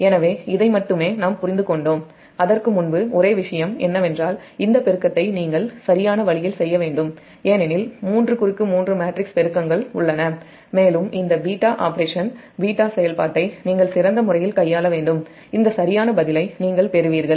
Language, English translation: Tamil, only thing is that, just on before, that only thing is that this multiplication you have to make it in correct way, because three, three, three matrix multiplications are there and this beta operation, beta operation you have to manipulate in better way such that you will get this correct answer